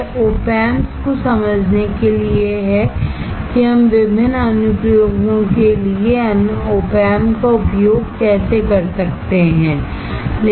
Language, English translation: Hindi, It is to understand Op Amps, how we can use Op Amps for different applications